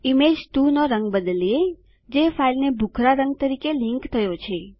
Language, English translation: Gujarati, Let us change the color of Image 2, which is linked to the file to greyscale